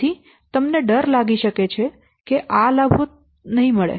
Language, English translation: Gujarati, So you are afraid of that this much benefit I may not get